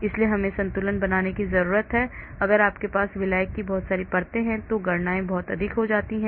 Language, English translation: Hindi, So we need to balance, and of course if you have too many layers of solvent then the calculations also become too many